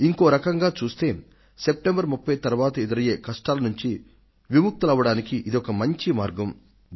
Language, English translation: Telugu, And in another way, this is the way out to save yourself from any trouble that could arise after 30th September